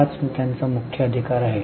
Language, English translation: Marathi, That's their main right